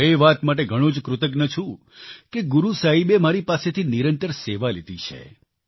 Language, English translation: Gujarati, I feel very grateful that Guru Sahib has granted me the opportunity to serve regularly